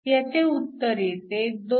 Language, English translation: Marathi, So, this gives you 2